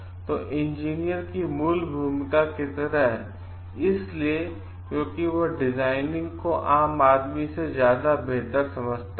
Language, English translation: Hindi, So, like the original role of the engineer is because he understands designing much better than the lay person